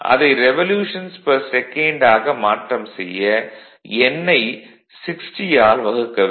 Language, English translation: Tamil, If it is revolution per second it will be N by 60 then